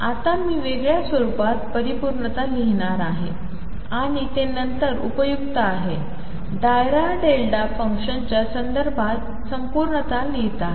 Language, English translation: Marathi, Now, I am going to write completeness in a different form and that is useful later, writing completeness in terms of dirac delta function